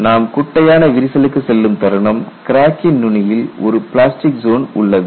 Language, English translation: Tamil, The moment you go to short crack you have at the tip of the crack there is a plastic zone